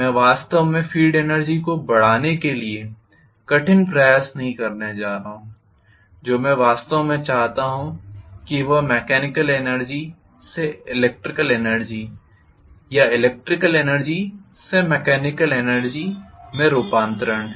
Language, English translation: Hindi, I am not going to really strive hard to increase the field energy, what I want is actually conversion from mechanical energy to electrical energy or electrical energy to mechanical energy